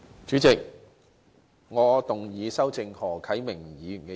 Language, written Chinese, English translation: Cantonese, 主席，我動議修正何啟明議員的議案。, President I move that Mr HO Kai - mings motion be amended